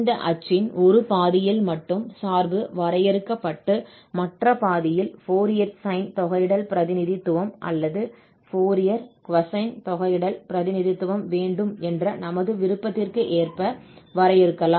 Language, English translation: Tamil, So, in one half of this axis only, the function is defined and in the other half, we can define it according to our wish to have either a Fourier sine integral representation or to have Fourier cosine integral representation